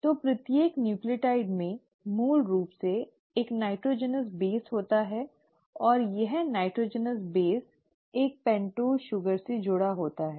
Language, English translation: Hindi, So each nucleotide basically has a nitrogenous base and this nitrogenous base is attached to a pentose sugar